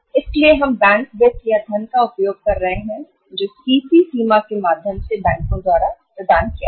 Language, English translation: Hindi, So we are utilizing the bank finance or the funds provided by the banks through CC limit